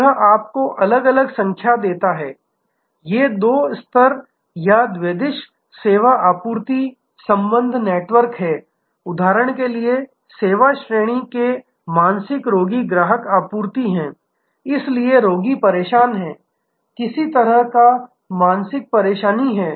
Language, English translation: Hindi, this gives you number of different these are two level or bidirectional service supply relationship are networks like for example, service category mind customer supply patient, so the patient is disturbed there is some kind of mental acne